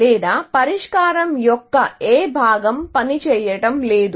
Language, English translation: Telugu, What is, or which part of the solution is not working